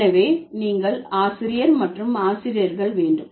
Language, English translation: Tamil, So, you have teacher versus teachers